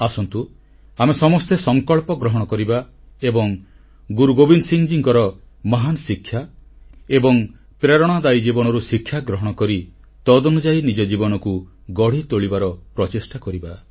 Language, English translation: Odia, Come, let us all resolve to imbibe & abide by lessons from his great teachings & exemplary life and mould our own life in accordance with them